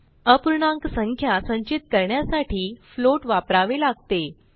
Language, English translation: Marathi, To store decimal numbers, we have to use float